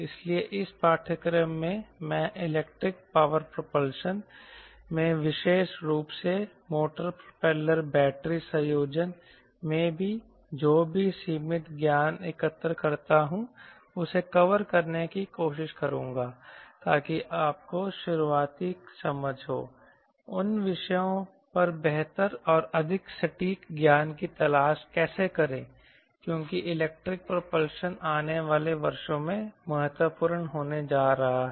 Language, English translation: Hindi, so in this course i will try to cover whatever limited knowledge i gathered ah in electric power propulsion, especially motor propeller battery combination, so that you have initial understanding how to look for better and more precise knowledge on those topics, because this is going to be electric part propulsion is going to be the order of the day in coming years